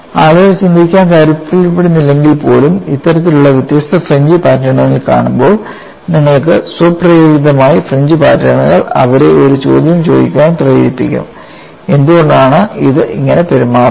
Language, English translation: Malayalam, You know automatically when people look at this kind of different fringe patterns even if they do not want to think the fringe patterns will make them ask a question, why it is behaving like this